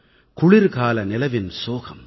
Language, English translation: Tamil, The sad winter moonlight,